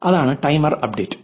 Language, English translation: Malayalam, That is the timer update